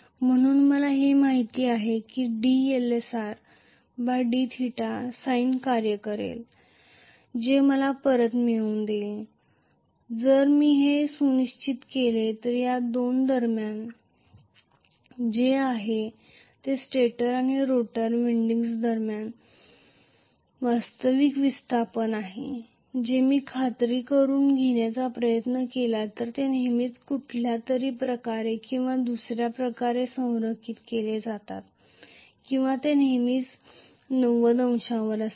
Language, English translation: Marathi, So I know that d Lsr by d theta is going to be sine function ultimately what I get back if I ensure that between these two that is whatever is the actual displacement between the stator and rotor windings which is actually theta if I tried to make sure that they are always aligned somehow or the other,right